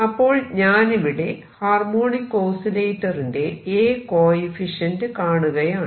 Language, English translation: Malayalam, Now, let us see come to calculation of A coefficient for a harmonic oscillator